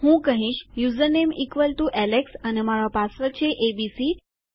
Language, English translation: Gujarati, Ill say username is equal to alex and my password is equal to abc